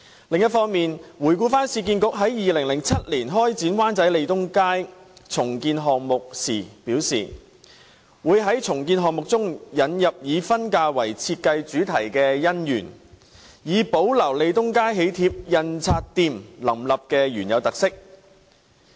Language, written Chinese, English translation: Cantonese, 另一方面，市建局於2007年開展灣仔利東街重建項目時表示，會在重建項目中引入以婚嫁為設計主題的"姻園"，以保留利東街喜帖印刷店林立的原有特色。, On the other hand when commencing the Lee Tung Street redevelopment project in Wan Chai in 2007 URA stated that it would feature in the redevelopment project a Wedding City with a wedding - themed design so as to preserve the original characteristics of Lee Tung Street where there used to be a large number of printing shops for wedding cards